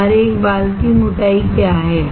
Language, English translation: Hindi, What is thickness of our one hair